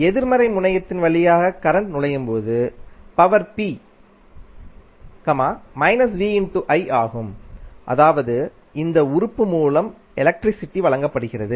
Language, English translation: Tamil, And when current enters through the negative terminal then power p is negative of vi that means power is being supplied by this element